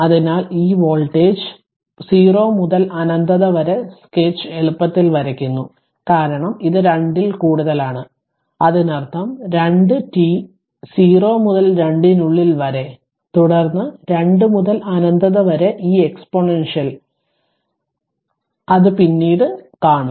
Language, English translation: Malayalam, So, this voltage you can easily sketch right from you can sketch from 0 to infinity, because t greater than 2; that means, in between 2 t 0 2 here what you call the 2 0 2 to 2 and then this exponential thing for 0 to 2 to infinity right when you when you put later will see this